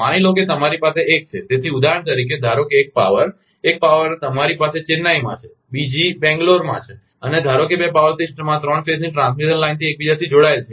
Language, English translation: Gujarati, So, for example, suppose one powers, one power system you have in Chennai, another is a Bengal, Bangalore and suppose two power system an interconnected by these three phase transmission line